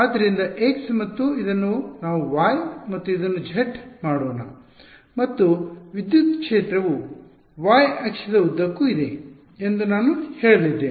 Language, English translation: Kannada, So, x and let us make this y and z and I am going to say that electric field is along the y axis right